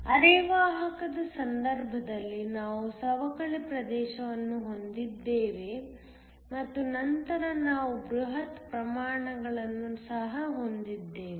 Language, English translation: Kannada, In the case of a semiconductor we have a depletion region and then we also have the bulk